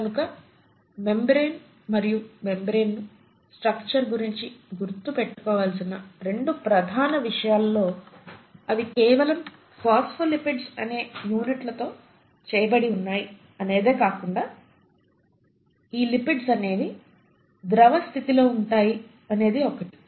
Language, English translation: Telugu, So there are 2 major aspects one has to remember about membrane and membrane structure is that not only are they made up of lipid and units called phospholipids, these lipids are highly fluidic in nature